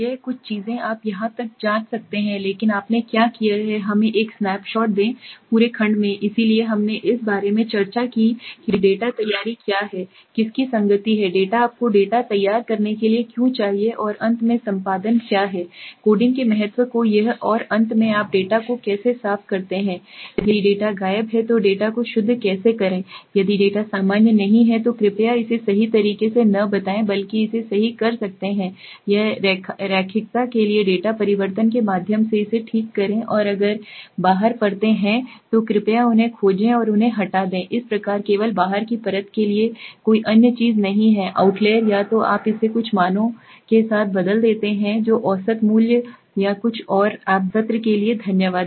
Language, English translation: Hindi, So this some of the things you can check for even but what did you do is let us have a snap shot of the entire section so we discussed about what is the data preparation what is consistency of data why should you how to prepare the data and finally what is editing coding the importance of it and finally how do you clean the data how to purify the data if there are missing data what you should not just avoid it rather you can correct it right if the data is not normal please check and correct it through a data transformation similarly for a linearity and if there are out layers please find them and remove them thus the only thing for the out layer there is no other thing identify the out layer either you replace it with some values which is the mean value or something or you just remove the out layer thanks for the day thanks for the session bye